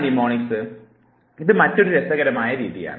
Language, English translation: Malayalam, Mnemonics is another interesting method